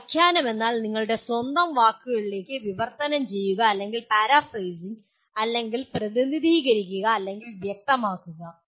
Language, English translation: Malayalam, Interpretation means translating into your own words or paraphrasing or represent or clarify